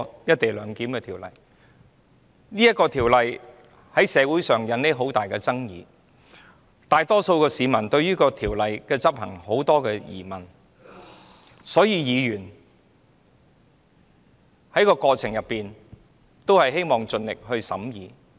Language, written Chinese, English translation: Cantonese, 這項《條例草案》在社會引起重大爭議，大多數市民對條例的執行有很多疑問，所以議員希望在過程中盡力做好審議工作。, The Bill had aroused great controversy in society . Since most people had doubts about the implementation of the Bill Members desired to do their best in the course of the examination